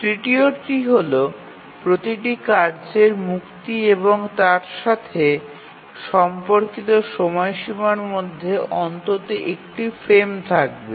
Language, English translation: Bengali, The third is that between the release of every task and its corresponding deadline there must exist one frame